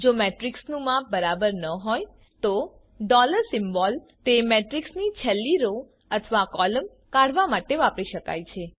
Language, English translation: Gujarati, If the size of the matrix is not known $ symbol can be used to extarct the last row or column of that matrix